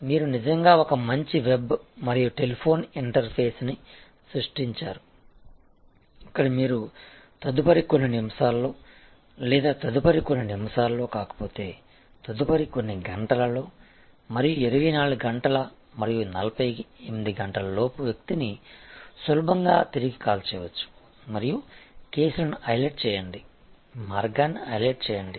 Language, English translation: Telugu, You really create a good web and telephone interface, where you can easily call back the person within the next a few minutes or if not next few minutes, next few hours and not 24 hours and 48 hours and also highlight the cases, highlight the way this Redressal happen in your system